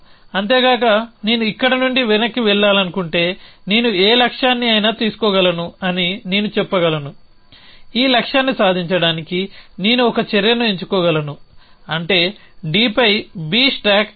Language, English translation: Telugu, Moreover if I want to regress from here I could say stack I could take any goal, I could pick an action to achieve this goal which is to stack B on D